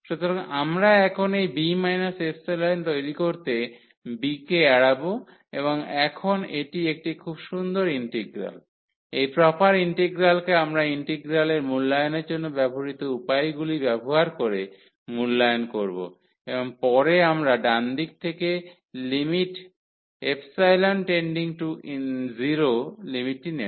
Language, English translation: Bengali, So, we have avoided now this b making this b minus epsilon and now this is nice integral, the proper integral which we will evaluate using the techniques developed for the evaluation of the integral and later on we will take the limit epsilon tending to 0 from the right side